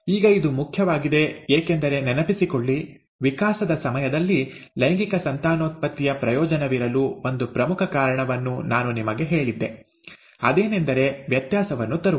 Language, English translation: Kannada, Now that is important, because remember, I told you one important reason why there was advantage of sexual reproduction during evolution, is to bring in variation